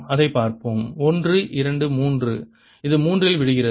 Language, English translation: Tamil, let's see that one, two, three, it comes down in three